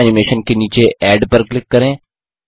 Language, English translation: Hindi, Under Custom Animation, click Add